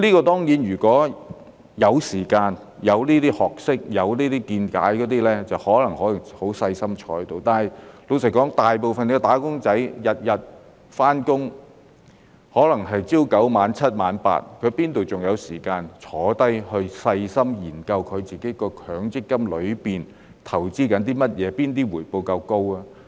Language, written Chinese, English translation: Cantonese, 當然，如果有時間、有這些學識和見解，便可以很細心地研究，但老實說，大部分"打工仔"每天上班，可能是朝9晚7或晚 8， 哪裏還有時間坐下來細心研究自己的強積金正在投資哪些項目、哪些回報較高呢？, Of course if they have the time knowledge and insight they may readily conduct a meticulous study . But frankly most wage earners have to work every day say from 9col00 am to 7col00 pm or 8col00 pm . How will they have time to sit down and study carefully what their MPF funds are investing in and which ones yield a higher return?